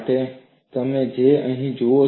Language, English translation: Gujarati, That is what you see here